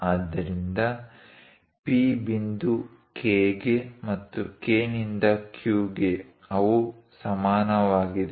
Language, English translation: Kannada, So, P point to K and K to Q; they are equal